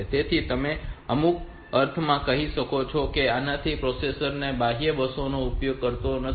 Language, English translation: Gujarati, So, you can in some sense you can say that since this the processor is not using this external buses